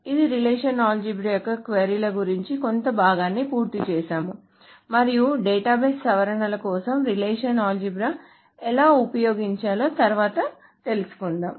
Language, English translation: Telugu, So that completes the part about the queries of this relational algebra and we will later go over how to use relational algebra for database modifications